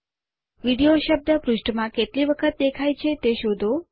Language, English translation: Gujarati, Find how many times the word video appears in the page